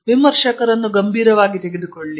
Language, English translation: Kannada, Take reviewers comment seriously